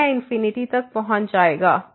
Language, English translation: Hindi, So, this will approach to infinity